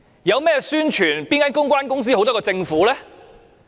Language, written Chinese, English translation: Cantonese, 說到宣傳，哪間公關公司好得過政府？, Speaking of publicity which public relations company will be better than the Government?